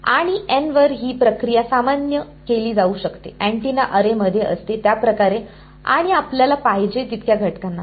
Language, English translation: Marathi, And this procedure can be generalized to N as many elements as you want in a and like an antenna array